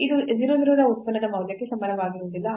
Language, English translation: Kannada, So, this is not equal to the function value at 0 0